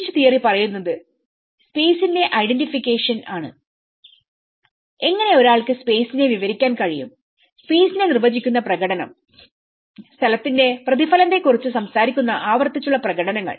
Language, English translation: Malayalam, And Leach Theory talks about the identification of the space how one can narrate the space the performative which define the space and the repetitive performances which talks about the mirroring of the place